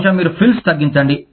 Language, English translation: Telugu, Maybe, you reduce frills